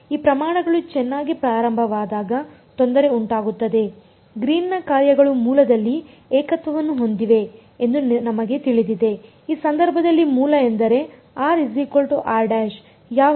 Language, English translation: Kannada, The trouble will happen when these quantities begin to well we know that Green’s functions have a singularity at the origin; origin in this case means when r is equal to r prime